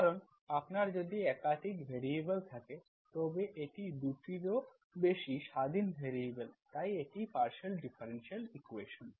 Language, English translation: Bengali, Because if you have more than one variables if you have, then it is more than 2 independent variables if we have, more than one, so you have 2 here, so it is the partial differential equation